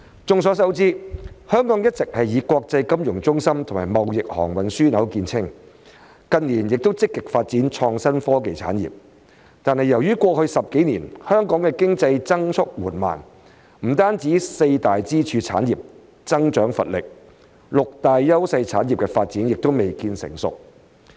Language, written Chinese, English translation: Cantonese, 眾所周知，香港一直以國際金融中心及貿易航運樞紐見稱，近年亦積極發展創新科技產業，但由於過去10幾年香港的經濟增速緩慢，不僅四大支柱產業增長乏力，六大優勢產業的發展亦未見成熟。, As we all know Hong Kong has always been known as an international financial centre and a trading and shipping hub and has been actively developing innovation and technology industries in recent years . However due to the slow growth of Hong Kongs economy in the past decade or so not only is the growth of the four pillar industries sluggish but the development of the six industries where Hong Kong enjoys clear advantages is also not yet mature